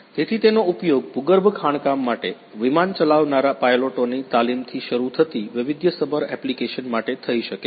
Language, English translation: Gujarati, So, it can be used for varied application starting from training of pilots who are running the aircrafts for underground mining, coal mining or other types of mining